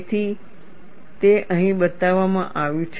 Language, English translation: Gujarati, So, that is what is shown here